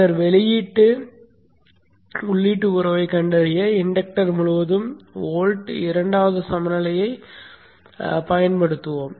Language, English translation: Tamil, Later we will use the old second balance across this inductor to find out the input outher relationship